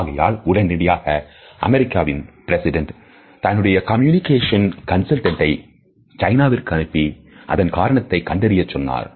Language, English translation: Tamil, So, immediately the US President send his communication consultant to China in order to find out the reason behind it